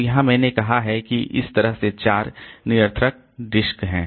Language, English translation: Hindi, So, here I have got say four redundant disk that way